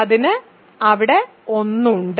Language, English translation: Malayalam, It has 1 there